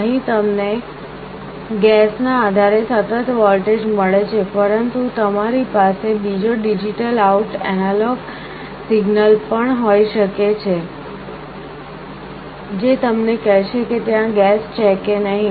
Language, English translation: Gujarati, Here you get a continuous voltage depending on the gas, but you can also have another digital out signal, that will tell you whether there is a gas or no gas